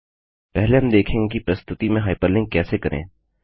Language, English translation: Hindi, First we will look at how to hyperlink with in a presentation